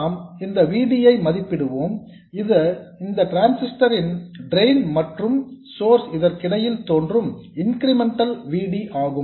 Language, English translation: Tamil, Let's evaluate this VD which appears between the drain and source of the transistor, that is the incremental VD